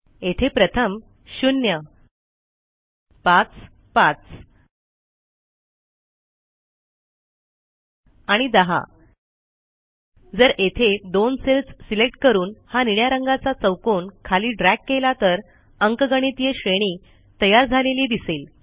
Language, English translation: Marathi, First I will start with 0, then 5, 5 and 10 Now if I select the two cells here and then drag this blue square all the way down, notice an arithmetic progression is created